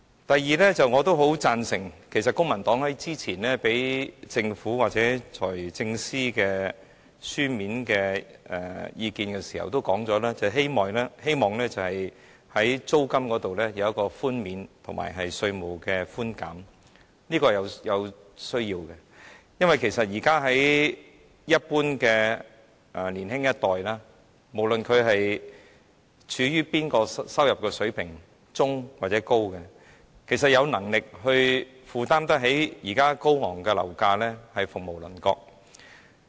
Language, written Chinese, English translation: Cantonese, 第二，公民黨較早前向政府或財政司司長提交書面意見時提出希望在租金方面有寬免措施和寬減稅負，我認為這是有需要的，並會予以支持，因為就一般的年青人來說，即使他們的收入水平屬中等或較高，有能力負擔現時高昂樓價的只是鳳毛麟角。, Secondly the Civic Party submitted earlier written comments to the Government or the Financial Secretary putting forth its wish for the introduction of relief measures and concessions on tax burden in respect of rentals . I think this is necessary and will give it my support because for the young people in general even if their salaries are in the middle range or higher those who can afford the existing exorbitant property prices are rare